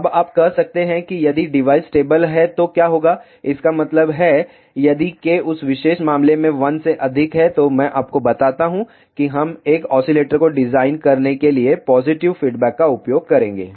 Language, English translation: Hindi, Now, you may say what will happen, if the device is stable; that means, if K is greater than 1 in that particular case I tell you we will use the positive feedback to design a oscillator Now, let just look at the two other conditions